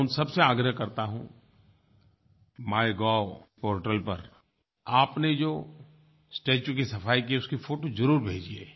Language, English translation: Hindi, I urge all those people to send photos of the statues cleaned by them on the portal MyGov